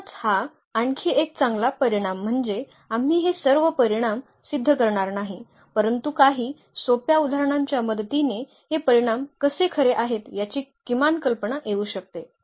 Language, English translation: Marathi, So, that is a another nice results we are not going to prove all these results, but one can with the help of some simple examples one can at least get some idea that how these results are true